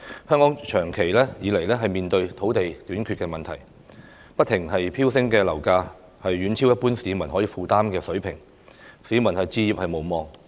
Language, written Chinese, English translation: Cantonese, 香港長期以來面對土地短缺問題，不停飆升的樓價遠超一般市民可以負擔的水平，市民置業無望。, Due to the long - standing land shortage in Hong Kong soaring property prices have far exceeded the affordability of the general public and their hope of home ownership is dashed